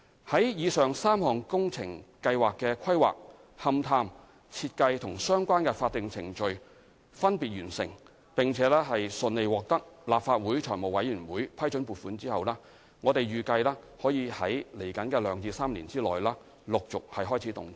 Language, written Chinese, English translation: Cantonese, 在以上3項工程計劃的規劃、勘探、設計和相關法定程序分別完成，並順利獲得立法會財務委員會批准撥款後，預計可於兩至3年內起陸續開始動工。, The construction of the above three works projects is anticipated to commence progressively starting from the next two to three years subject to the completion of the planning investigation design and relevant statutory procedures separately and obtaining funding approval smoothly from the Finance Committee of the Legislative Council